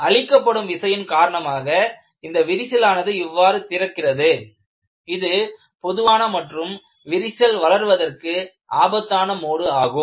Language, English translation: Tamil, Because of the load, the crack opens up like this, this is one of the most common and dangerous modes of loading for crack growth